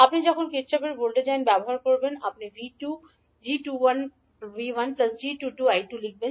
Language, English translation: Bengali, So when you use Kirchhoff’s voltage law you will write V2 as g21 V1 plus g22 I2